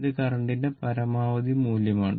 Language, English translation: Malayalam, This is the maximum value of the current